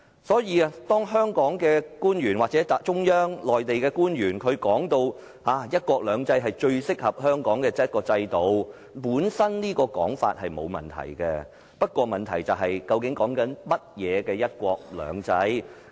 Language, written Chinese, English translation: Cantonese, 所以，當香港的官員或內地中央官員說"一國兩制"是最適合香港的制度，這種說法本身沒有問題，但問題是說的是甚麼樣的"一國兩制"。, Thus when local officials or Mainland officials say that one country two systems is most suitable for Hong Kong there is no problem with the saying but the question is What is the one country two systems that they are referring to? . Are they referring to the system that has been distorted and deformed?